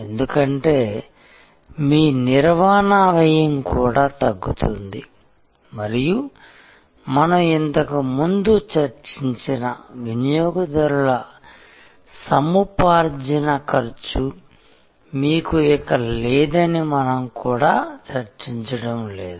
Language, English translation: Telugu, Because, your operating cost also come down and we are not also discussing that you no longer have a customer acquisition cost that is already given that we have discussed before